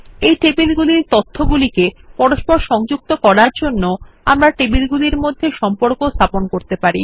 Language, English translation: Bengali, We can establish relationships among these tables, to interlink the data in them